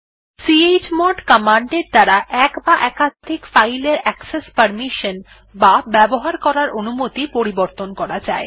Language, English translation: Bengali, chmod command is used to change the access mode or permissions of one or more files